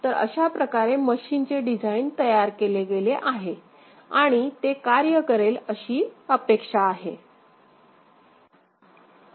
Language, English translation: Marathi, So, this is the way the machine has been expected to machine has been designed and is expected to work